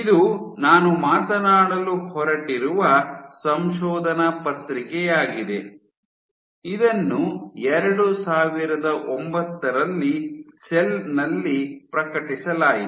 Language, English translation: Kannada, So, this is the paper that I am going to talk about, this was published in Cell in 2009